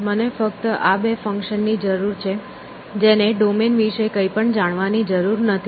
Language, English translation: Gujarati, These are the only two functions I need, which know need to know anything about the domain at all